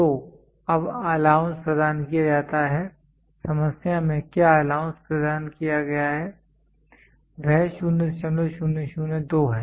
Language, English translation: Hindi, So, now the allowance provided what is the allowance provided in the problem it is 0